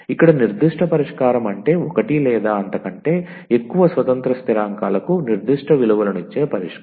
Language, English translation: Telugu, So, here the particular solution means the solution giving particular values to one or more of the independent constants